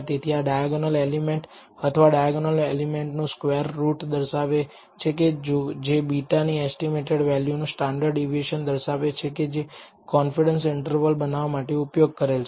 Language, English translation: Gujarati, So, this represents the diagonal element or the square root of the diagonal element which represents standard deviation of the estimated value of beta which is what is used in order to construct this confidence interval